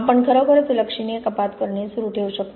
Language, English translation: Marathi, We can continue to really make substantial cuts